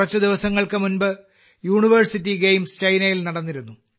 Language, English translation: Malayalam, A few days ago the World University Games were held in China